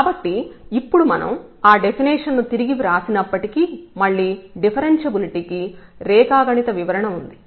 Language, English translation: Telugu, So, now we have the geometrical interpretation for the differentiability again just though we have rewritten that definition